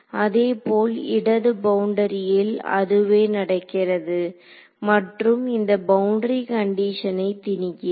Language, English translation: Tamil, Similarly, at the left boundary same thing is happening and imposing this is boundary condition